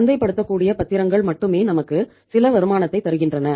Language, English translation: Tamil, Only marketable securities are giving us some return